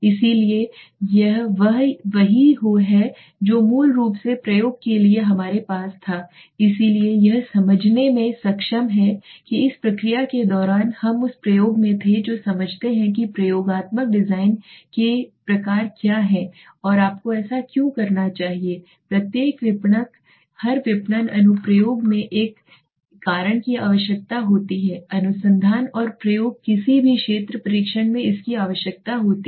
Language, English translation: Hindi, So well this is what is basically what we had for the experimentation so I hope you must have been able to understand that means in during this process we had in the experiment we try to understand you what are the types of experimental designs and why should you do it because every marketer every marketing application has a requirement of has a requirement of causal research and the experimentation right so when you do any field test or anything you require it right